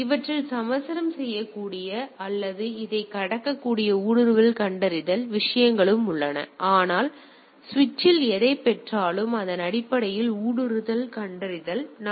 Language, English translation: Tamil, It also has a intrusion detection things which are which could have compromise these or pass this, but there is a intrusion detection based on the whatever it receive in the switch